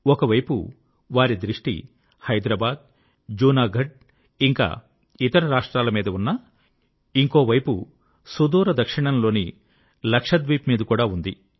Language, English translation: Telugu, On the one hand, he concentrated on Hyderabad, Junagarh and other States; on the other, he was watching far flung Lakshadweep intently